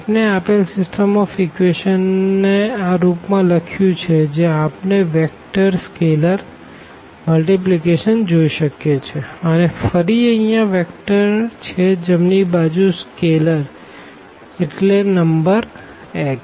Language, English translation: Gujarati, So, we have written the given system of equations in this form where we see the vector scalar multiplication vector scalar multiplication and here the vector again the right hand side the scalar means this the number x here